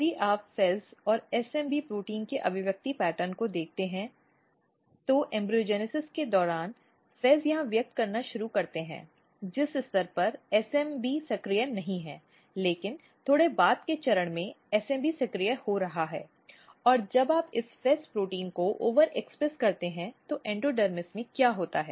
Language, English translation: Hindi, So, if you look just the expression pattern of FEZ and SMB protein what happens in the during embryogenesis the FEZ start expressing here at that stage SMB was not activated, but slightly later stage SMB is getting activated and when you overexpress basically this FEZ protein what happens in endodermis